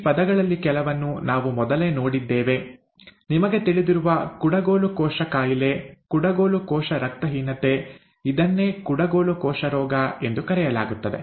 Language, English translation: Kannada, These terms, some of which we have seen earlier; sickle cell disease you know, sickle cell anemia, the same thing, it is called sickle cell disease